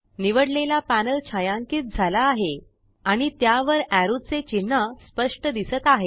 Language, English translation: Marathi, The chosen panel is shaded and a clear arrow sign appears over it